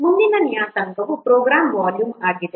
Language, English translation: Kannada, Next parameter is program volume